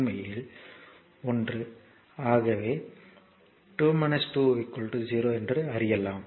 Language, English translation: Tamil, So, actually 1; so, 2 minus 2 0